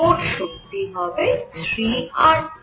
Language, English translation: Bengali, So, the total energy is going to be 3 R T